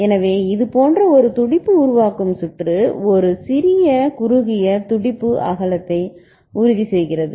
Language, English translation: Tamil, So, a pulse forming circuit like this ensure a small a narrow pulse width ok